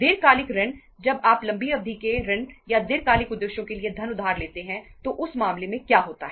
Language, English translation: Hindi, Long term loans, when you borrow long term loans or the money for the long term purposes in that case what happens